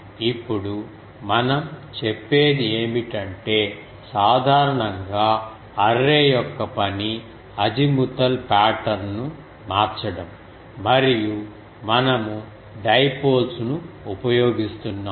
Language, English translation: Telugu, Now what we said that the generally the job of array is to change the azimuthal pattern and we are using dipoles